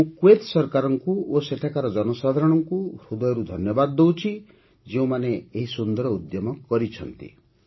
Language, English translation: Odia, I thank the government of Kuwait and the people there from the core of my heart for taking this wonderful initiative